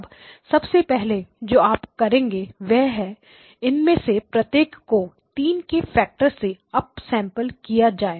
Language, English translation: Hindi, And so the first thing you would do is each of these gets up sampled by a factor of 3